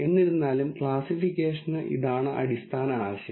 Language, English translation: Malayalam, Nonetheless for classification this is the basic idea